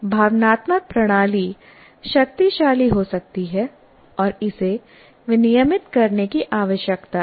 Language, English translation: Hindi, Because emotional system can be very strong, so it has to regulate that